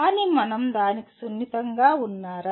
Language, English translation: Telugu, But are we sensitized to that